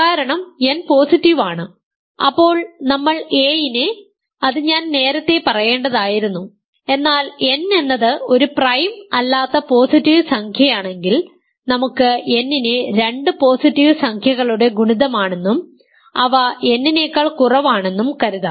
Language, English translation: Malayalam, Because n is positive and we have factored a into I should have said that earlier, but if n is the positive integer that is not a prime, we can factor n as a product of two positive integers less than n and less than n positive